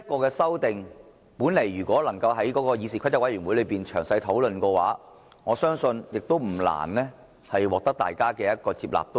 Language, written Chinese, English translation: Cantonese, 其實，如果能夠在議事規則委員會詳細討論這項修訂的話，說不定不難獲得議員接納。, Actually perhaps it was not difficult to get Members endorsement for these amendments if we were able to comprehensively discuss them at meetings of the Committee on Rules of Procedure